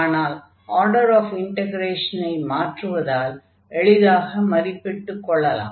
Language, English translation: Tamil, If you change the order of integration then this will be much easier to compute